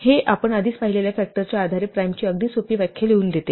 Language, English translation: Marathi, This allows us to write a very simple definition of prime based on factors which we have already seen